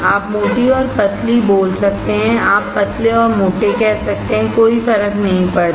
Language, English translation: Hindi, You can call thick and thin; you can call thin and thick; does not matter